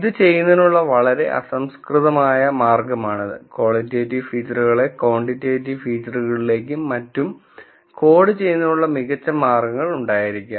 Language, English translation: Malayalam, This is very crude way of doing this, there might be much better ways of coding qualitative features into quantitative features and so on